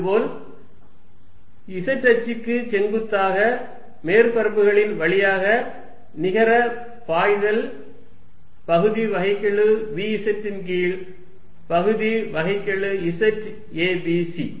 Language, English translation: Tamil, And net flow through surfaces perpendicular to the z axis is going to be partial v z over partially z a b c